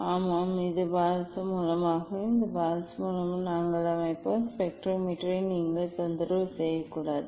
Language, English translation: Tamil, Yes, we have just this is the mercury source, this is the mercury source and you should not disturb the spectrometer just we will set